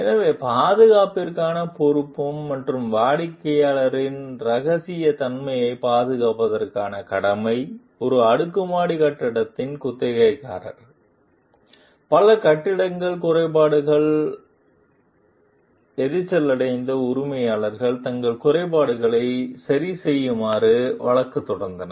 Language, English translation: Tamil, So, The Responsibility for Safety and the Obligation to Preserve Client Confidentiality, tenants of an apartment building, annoyed by many building defects, sue the owners to force them to repair their defects